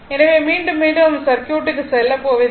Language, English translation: Tamil, Again and again I will not come to the circuit